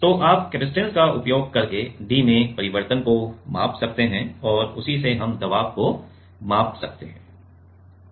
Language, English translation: Hindi, So, you can measure the change in d using capacitance and from that we can measure the pressure